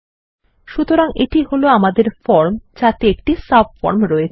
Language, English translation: Bengali, So there is our form with a subform